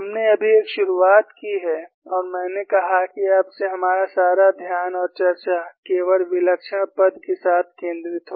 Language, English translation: Hindi, We have just made a beginning and I said, from now onwards, all our attention and discussion would focus only with the singular term